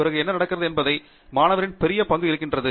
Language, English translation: Tamil, And then, after that, the student plays a huge role in what happens